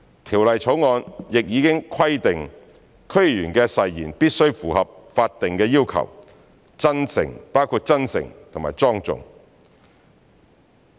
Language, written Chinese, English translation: Cantonese, 《條例草案》亦已規定區議員的誓言必須符合法定要求，包括真誠、莊重。, The Bill also provides that the oath taken by a DC member must meet the statutory requirements including being sincere and solemn